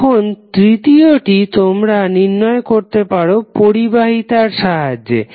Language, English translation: Bengali, Now third option is that you can calculate with the help of conductance